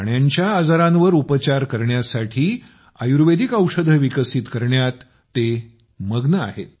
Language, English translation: Marathi, It is engaged in developing Ayurvedic Medicines for the treatment of animal diseases